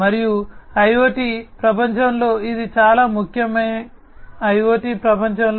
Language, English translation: Telugu, And this is a very important consideration in IoT